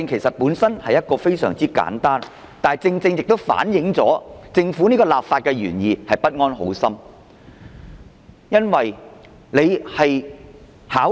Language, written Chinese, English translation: Cantonese, 我的修正案雖然非常簡單，但正正亦反映了政府的立法原意不安好心。, What can the people do? . Although my amendment is very simple it precisely reflects that the Governments introduction of the legislation is ill - intentioned